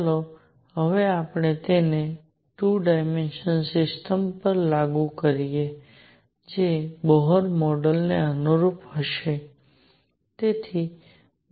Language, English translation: Gujarati, Let us now apply it to a 2 dimensional system which will correspond to Bohr model